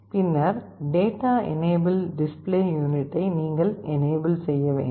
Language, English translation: Tamil, Then data enable, you have to enable the display unit